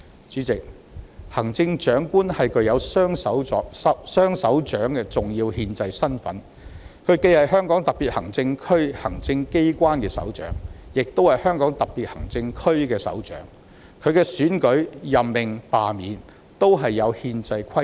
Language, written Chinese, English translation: Cantonese, 主席，行政長官具有"雙首長"的重要憲制身份，既是香港特別行政區行政機關的首長，亦是香港特別行政區的首長，其選舉、任命和罷免均有憲制規定。, President the Chief Executive has an important constitutional role of being the head of the executive authorities of the Hong Kong Special Administrative Region SAR and the head of the Hong Kong SAR . The election appointment and removal of the Chief Executive are stipulated by the constitution